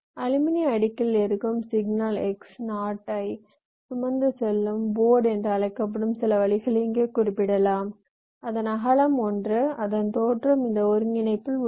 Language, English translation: Tamil, you see, here you can specify some line called port which is carrying a signal x zero, which is on the aluminium layer, whose width is one whose origin is at this coordinate